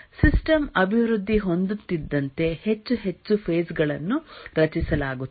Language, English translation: Kannada, As the system develops, more and more phases are created